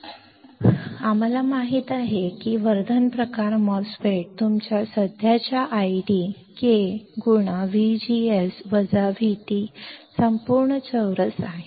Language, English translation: Marathi, So, now, we know that enhancement type MOSFET, your current id is K times V G S minus V T whole square